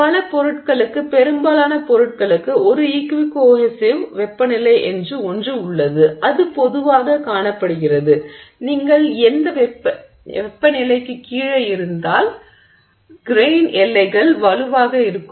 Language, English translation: Tamil, So for many, for most materials there is something called an equi cohensive temperature and generally it is observed that if you are below this temperature the grain boundaries are stronger